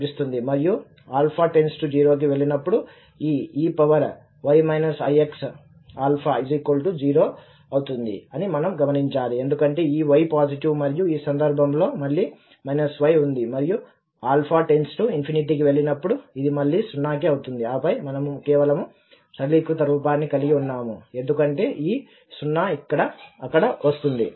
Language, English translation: Telugu, And we should also note that when alpha goes to 0, this e power y minus i x alpha will go to 0 because this y is positive and in this case again, because the minus y is there and this alpha goes to infinity, this will again go to 0 and then we have rather simplified form which will just come because of this 0 there